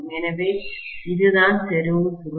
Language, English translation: Tamil, So, this is what is concentric coil